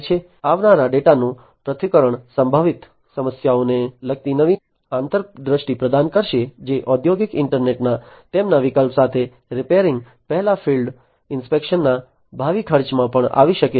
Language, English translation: Gujarati, Analysis of the incoming data will provide new insights relating to potential problems which can occur in the future cost of field inspection before repairing will also get reduced with their option of the industrial internet